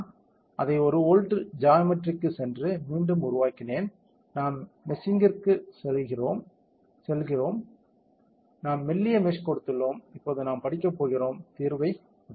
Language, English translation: Tamil, I have made it one volt go to geometry again do a build all, we go to meshing we have given fine meshing now we will go to study and let us update the solution